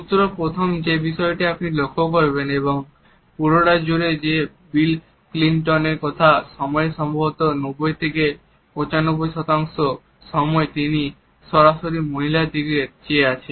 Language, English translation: Bengali, So, the first thing you will notice and throughout this is that probably 90 to 95 percent of the time that bill Clinton is speaking, he is looking directly at this woman